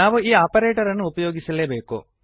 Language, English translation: Kannada, We must use this operator